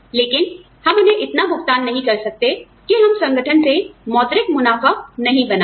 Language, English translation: Hindi, But, we cannot pay them, so much, that we do not make, any monetary profit out of our organization